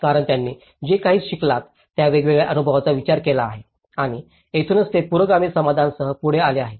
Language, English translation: Marathi, Because they have considered a different experiences what they have learned and that is where they have come up with a progressive solutions